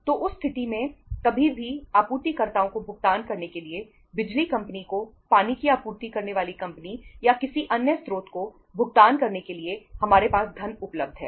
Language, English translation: Hindi, So in that case anytime any funds becoming due to be paid to the suppliers, to the electricity company to water supply company or to any other source, we have the funds available